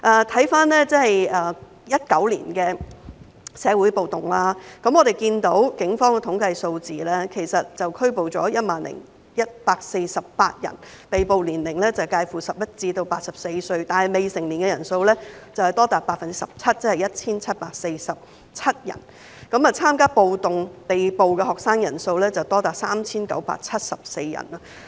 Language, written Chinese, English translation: Cantonese, 回看2019年的社會暴動，我們看到警方的統計數字，警方拘捕了 10,148 人，被捕者年齡介乎11至84歲，但未成年的人數多達 17%， 即是 1,747 人；參加暴動被捕學生的人數多達 3,974 人。, Looking back at the social riots of 2019 we can see from the Polices statistics that the Police arrested 10 148 people ranging from 11 to 84 in age but minors account for up to 17 % numbering 1 747 people . The number of students arrested for participation in riots was as high as 3 974